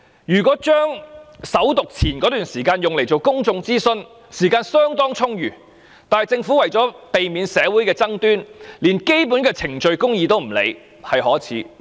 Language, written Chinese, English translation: Cantonese, 如果利用首讀前那段時間來進行公眾諮詢，時間是相當充裕的，但政府為了避免社會的爭端，連基本的程序公義也不顧，這是可耻的。, If the period of time before First Reading had been used for public consultation the time should have been quite abundant but the Government shamefully ignored even the basic procedural justice in order to steer clear of disputes in society . In this regard SCMA can hardly escape censure